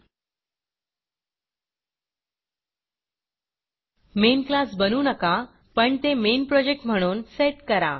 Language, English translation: Marathi, Dont create a main class but set it as the main project